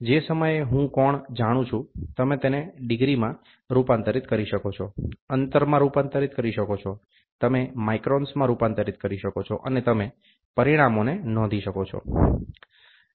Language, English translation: Gujarati, Moment I know the angle, you can converted into the degrees can be converted into distance, you can converted into microns, and you can report the results